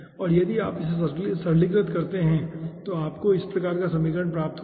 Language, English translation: Hindi, if you do, then you will be getting this kind of equation